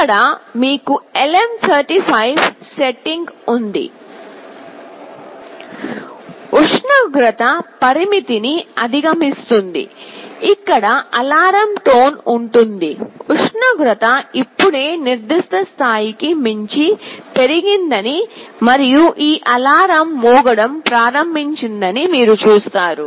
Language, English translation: Telugu, Here you have the LM35 setting; if temperature exceeds the threshold, there will be an alarm tone here you see the temperature has just increased beyond a level and this alarm has started to ring